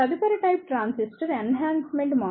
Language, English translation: Telugu, The next type of transistor is the Enhancement type MOSFET